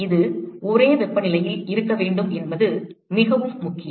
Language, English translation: Tamil, That is very important it has to be at the same temperature